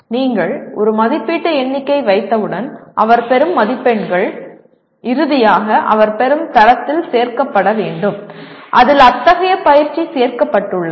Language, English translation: Tamil, Once you have a rubric for that the marks that he gain should finally get added to the grade that he gets in that course in which such an exercise is included